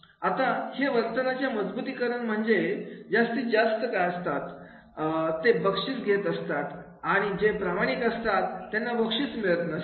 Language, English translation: Marathi, Now, these reinforcement of behavior that is the those who are more disruptive then they are getting the rewards and those who are sincere, they are not getting the rewards